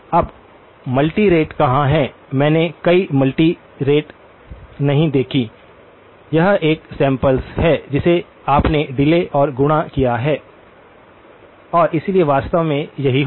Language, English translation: Hindi, Now, where is the multirate part, I did not see any multi rate, it is a samples which you delayed and multiplied and so that is what will actually happen